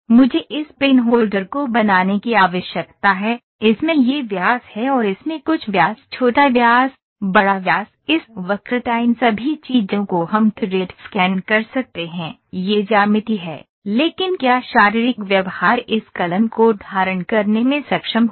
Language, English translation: Hindi, I need to manufacture this pen holder, it has this diameter in the and this some diameter smaller diameter, bigger diameter this curvature all these things we can thread scan this that is geometry, but physical behaviour would it be able to hold this pen